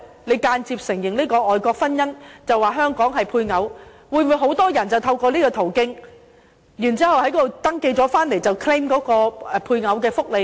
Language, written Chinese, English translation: Cantonese, 你間接承認外國婚姻，說他們在香港屬於配偶，會否令很多人透過此途徑在外國登記，然後回港 claim 配偶福利呢？, Now that a marriage registered overseas is recognized indirectly as they are said to be a spouse to each other in Hong Kong . Will this encourage many people to tread the same path and register overseas and then return to Hong Kong to claim spousal benefits?